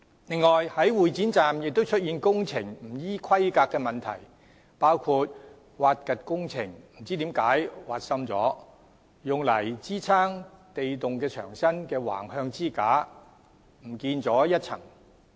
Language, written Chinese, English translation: Cantonese, 此外，會展站亦出現工程不依規格的問題，包括在挖掘的工程中不知何故竟挖深了，用以支撐地洞牆身的橫向支架也不見了一層。, Besides non - compliant works were also found at Exhibition Centre Station which includes excavation works had for reasons unknown exceeded the allowable depth and a layer of horizontal struts for supporting the wall of the underground pit was missing